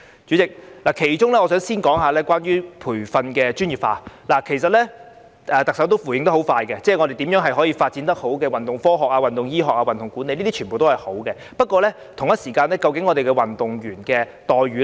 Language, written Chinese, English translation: Cantonese, 主席，我想先談談培訓專業化，其實特首已迅速作出回應，交代如何好好發展運動科學、運動醫學和運動管理，這些都是好事，不過，可否同時檢視運動員的待遇呢？, President I would like to first talk about the professionalization of athlete training . In fact the Chief Executive has given a prompt response on how the Government will properly develop sports science sports medicine and sports management which is a good thing . Yet can the Government review the treatment of athletes at the same time?